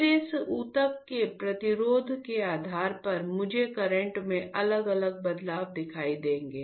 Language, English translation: Hindi, Then depending on the resistance of this tissue; depending on the resistance of this tissue I will see different change in current, you got it